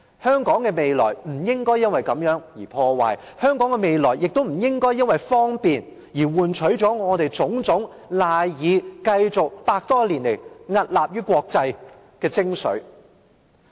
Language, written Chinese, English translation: Cantonese, 香港的未來不應因此而被破壞，香港的未來亦不應因為方便而換取了我們種種賴以維持百多年來屹立於國際的精髓。, Hong Kongs future should not be ruined because of that . Those values are the quintessence that Hong Kong has depended on to gain its strength in the international community for over a century